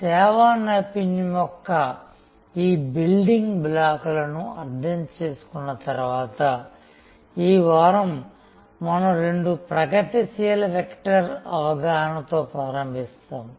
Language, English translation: Telugu, Having understood these building blocks of service excellence, this week we will start with the understanding of two progressive vectors